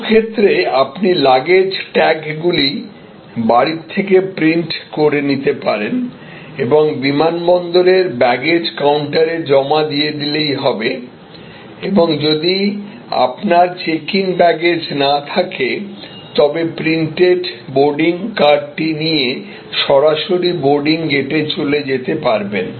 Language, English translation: Bengali, In some cases, you can print out your luggage tags remotely from your home and just deposited at the baggage counter at the airport and if you do not have check in baggage, you have already printed your boarding card, use straight go to the boarding gate